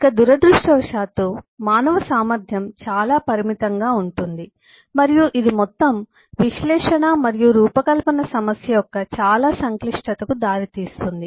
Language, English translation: Telugu, so unfortunately there’s a severe limitation of the human capacity and that leads to a lot of complexity of the overall analysis and design problem